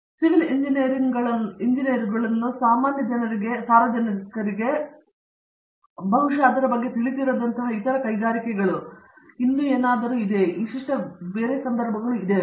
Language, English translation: Kannada, Other other industries which pick ups civil engineers where maybe the general public maybe not as aware of it, is there some unique situations like that you can tell us about